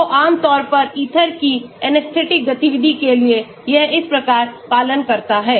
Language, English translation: Hindi, So, generally for anesthetic activity of ethers it is followed like this